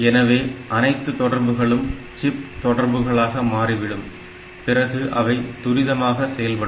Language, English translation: Tamil, So, that way all communications, they become on chip communication and the system operates at a higher rate